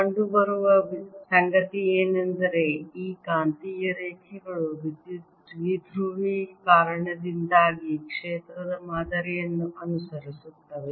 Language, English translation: Kannada, what is found is that these magnetic lines pretty much follow the same pattern as the field due to an electric dipole